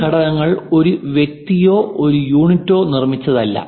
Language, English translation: Malayalam, And these components were also not made by one single person or one single unit